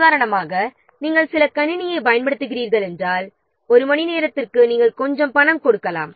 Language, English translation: Tamil, For example, if you are using what some computer, so then per hour you may give some money